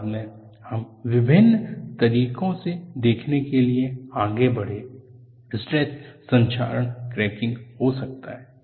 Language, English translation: Hindi, Later on, we proceeded to look at various ways, stress corrosion cracking can happen